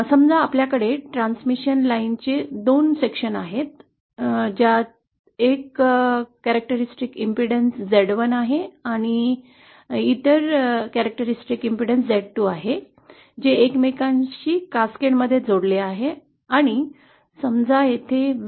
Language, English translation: Marathi, Suppose we have 2 sections of transmission line, one having characteristic impedance z1 the other having characteristic impedance z2, connected with each other in cascade & suppose v1